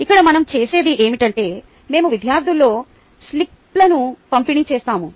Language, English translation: Telugu, what we do is we distribute slips among the students